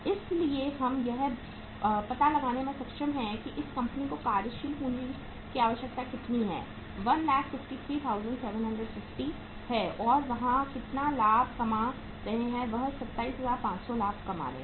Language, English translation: Hindi, So we are able to find out that the working capital requirement of this company is how much that is 1,53,750 and the profit they will be earning will be to the tune of 27,500